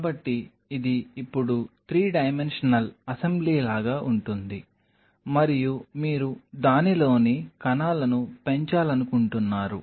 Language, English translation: Telugu, So, this is what it will be it will be more like a 3 dimensional assembly now and you wanted to grow the cells in it